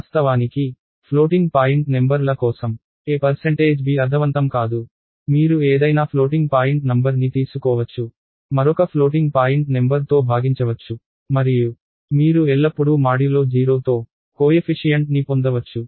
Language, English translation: Telugu, So, of course, for floating point numbers a percentage b does not make sense, you can take any floating point number, divide by another floating point number and you can always get a coefficient with the modulo being 0